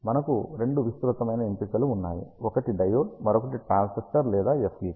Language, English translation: Telugu, We have broadly two choices one is diode, another one is a transistor or a FET